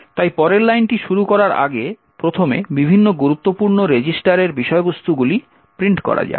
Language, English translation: Bengali, So, first of all before we invoke the next line let us print what are the contents of the various important registers